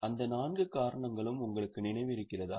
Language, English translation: Tamil, Do you remember those four reasons